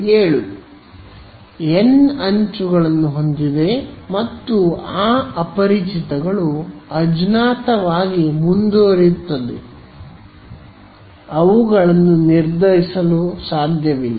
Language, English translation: Kannada, Has n edges and those unknowns continue to be unknown they are not determined